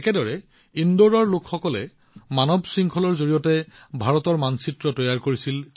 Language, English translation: Assamese, Similarly, people in Indore made the map of India through a human chain